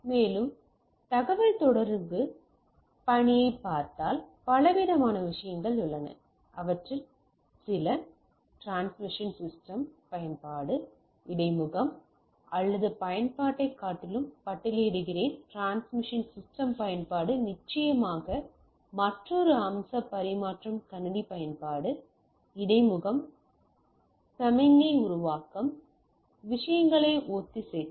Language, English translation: Tamil, And if you look at the communication task, there is a variety of things, some of them I list transmission system utilization, interfacing or rather than utilization if you say transmission system utilization is definitely another aspect transmission system utilization, interfacing, signal generation, synchronization of the things